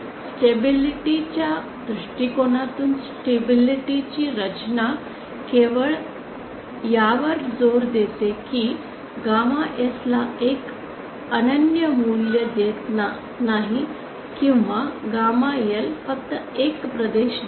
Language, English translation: Marathi, So stability design from a stability point of view as just to emphasize it does not give a unique value of gamma S or gamma L just gives a region